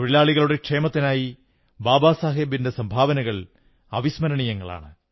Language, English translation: Malayalam, One can never forget the contribution of Babasaheb towards the welfare of the working class